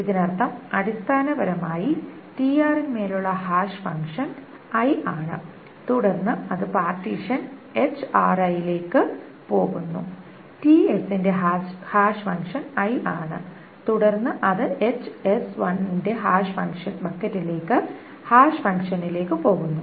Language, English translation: Malayalam, So this means that essentially hash function on TR is I, then it goes to the partition HRI and HSI and hash function of T S is I, then it goes to the hash function of T S is i, then it goes to the hash function of the hash bucket of hsi